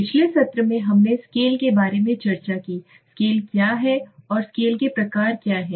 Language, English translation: Hindi, In the last session we have discussed about scale, what is scale and what are the types of scales